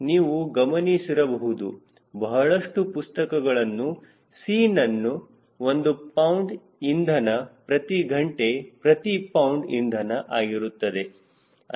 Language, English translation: Kannada, you will find that most of the book c they have expressed in a unit: pound of fuel per hour, per pound of fuel, right